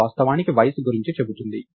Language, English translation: Telugu, Its actually about age